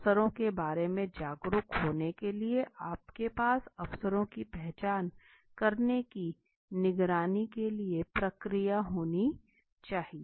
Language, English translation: Hindi, To be aware of the opportunities you must have the process for monitoring opportunities to identify the opportunities okay